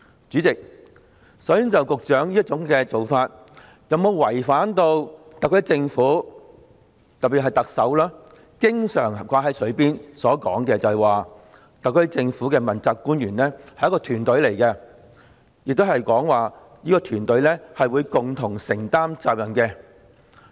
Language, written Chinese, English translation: Cantonese, 主席，首先，局長這種做法有否違反特區政府——特別是特首經常掛在嘴邊的話——所說，即特區政府的問責官員是一個團隊，而這個團隊會共同承擔責任。, President firstly does the Secretarys approach run counter to the SAR Governments claim―especially what the Chief Executive keeps talking about―that the accountability officials of the SAR Government work as a team which will share responsibilities?